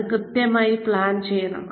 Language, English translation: Malayalam, It has to be planned properly